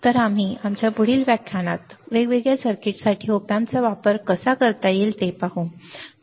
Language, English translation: Marathi, So, we will see how the op amps can be used for the different circuits in our next lecture